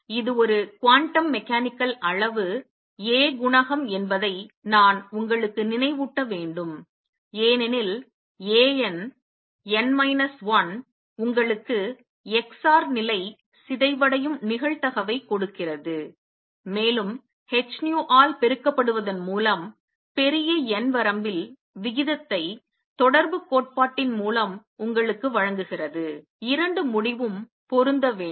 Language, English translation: Tamil, This I should remind you is a quantum mechanical quantity A coefficient because A n, n minus 1 gives you the probability through which the x r state decays and with that multiplied by h nu gives you the rate in the large n limit by correspondence principle the 2 result should match